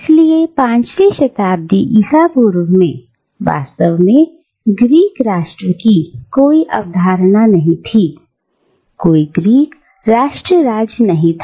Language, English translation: Hindi, So, in the 5th century BCE there was actually no concept of a Greek Nation, there was no Greece nation state